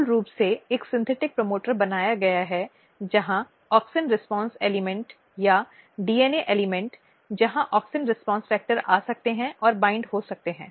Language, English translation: Hindi, So, basically a synthetic promoter has been created where the auxin response element this is the element or DNA elements where auxin response factor can come and bind